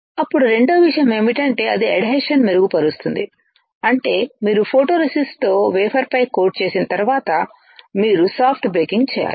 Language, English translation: Telugu, Then the second thing is that it will improve the adhesion; which means that once you coat on the wafer with the photoresist, you have to perform soft baking